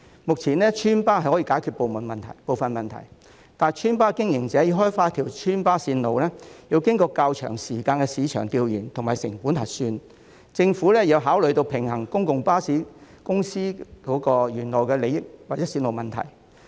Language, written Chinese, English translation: Cantonese, 目前村巴/邨巴可以解決部分問題，但村巴/邨巴經營者要開發一條村巴/邨巴路線，要經過較長時間的市場調研及成本核算，政府亦要考慮平衡專營巴士公司原有利益或路線問題。, At present the villageestate buses can solve some of the problems but their operators have to develop the routes which requires a long time for market research and cost accounting . The Government should also consider balancing the original interests and routes of the franchised bus companies